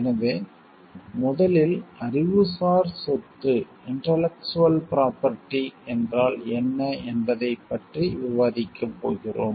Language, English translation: Tamil, So, first we are going to discuss about what is intellectual property